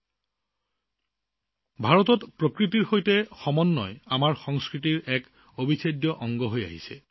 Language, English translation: Assamese, Friends, in India harmony with nature has been an integral part of our culture